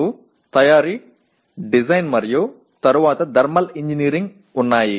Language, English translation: Telugu, You have Manufacturing, Design and then Thermal Engineering